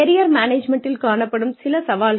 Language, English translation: Tamil, Some challenges to Career Management